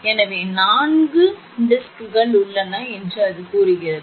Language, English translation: Tamil, So, it says that four discs are there